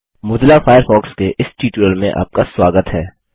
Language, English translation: Hindi, Welcome to the this tutorial of Mozilla Firefox